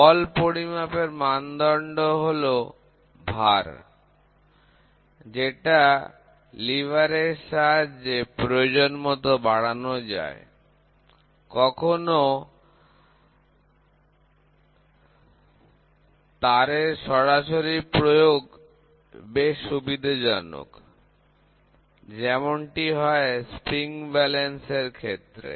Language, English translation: Bengali, Our standards of force are ultimately based on weight, magnified by a lever as necessary, sometimes direct application of weight is convenient like in spring balance, right